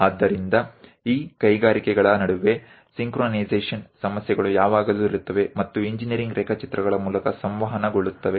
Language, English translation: Kannada, So, synchronization issues always be there in between these industries and that will be communicated through engineering drawings